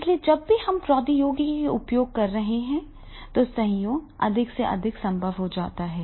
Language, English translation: Hindi, So these type of the functions when we are using the technology, the collaboration become more and more possible